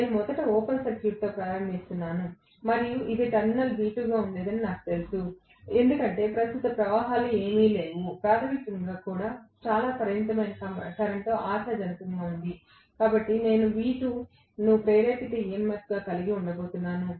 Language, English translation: Telugu, I am first starting off with open circuited and I know for sure that it would have been V2 at the terminal because hardly any current flows, in the primary also very limited current hopefully, so I am going to have V2 as the induced EMF